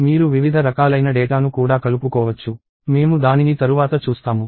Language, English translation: Telugu, You can also aggregate data of different types together; we will see that later